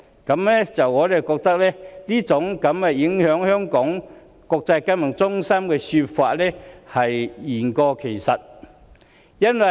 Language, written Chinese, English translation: Cantonese, 我們認為，聲稱馬凱事件會影響香港國際金融中心的地位，這說法實在言過其實。, We believe that the claim that the MALLET incident will affect the status of Hong Kong as an international financial centre is really exaggerated